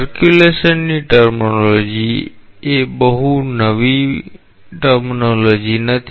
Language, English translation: Gujarati, The terminology circulation is not a very new terminology